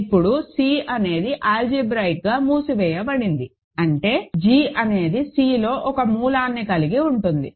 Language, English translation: Telugu, Now, C is algebraically closed implies g has a root in C